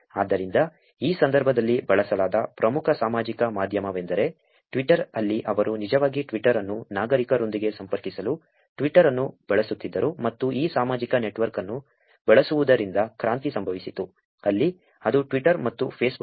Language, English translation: Kannada, So this was main social media that was used in this case was actually Twitter, where they were actually using twitter to connect with citizens giving them to one place and revolution happened because of using these social network where it went very viral through these services like Twitter and Facebook